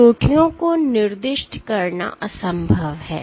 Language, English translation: Hindi, So, it is near impossible to assign the peaks